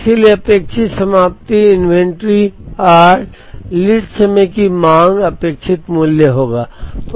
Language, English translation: Hindi, Therefore, expected ending inventory will be r minus expected value of lead time demand